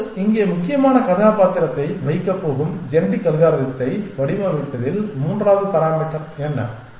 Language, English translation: Tamil, Now, what is the third parameter in designing genetic algorithm which is going to play critical role here